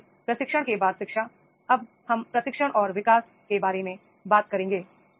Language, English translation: Hindi, So, after the business, training, then education and now we will talk about the training and development, right